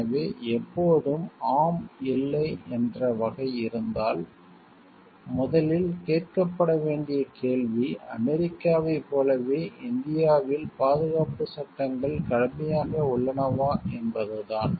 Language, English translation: Tamil, So, if it is there is always a yes no type of thing, first question to be asked is are safety laws in India as strict as in US